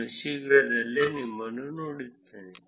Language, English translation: Kannada, I will see you soon